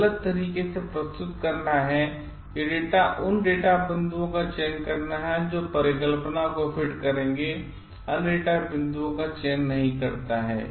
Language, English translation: Hindi, This is what selecting only those data points which will fit the hypothesis and not selecting other data points